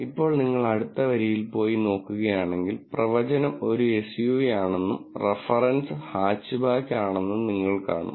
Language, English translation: Malayalam, Now, if you go to the next row and then look at this, you would see that the prediction is a SUV and the reference is Hatchback